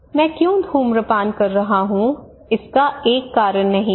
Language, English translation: Hindi, So why I am smoking is not that only because of one reason